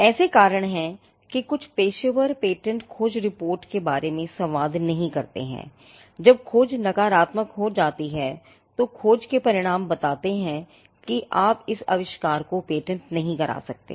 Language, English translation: Hindi, Now, there are reasons why some professionals do not communicate patentability search report; when the search turns out to be negative; in the sense that the results of the search states that you cannot patent this invention